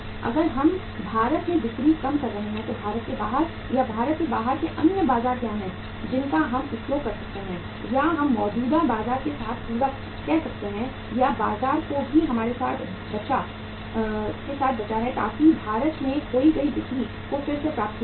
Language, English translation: Hindi, That if we are losing sales in India what are the other markets out of India or outside India which we can use or we can say supplement with the existing market or whatever the market is left with us so that lost sale in India can be regained from the market outside